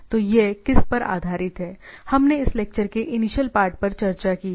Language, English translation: Hindi, So, it is based on what; we have discussed at the initial part of this lecture